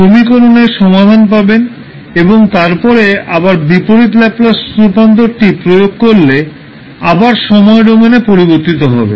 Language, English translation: Bengali, Obtain its solution and then you will apply again the inverse Laplace transform and the result will be transformed back in the time domain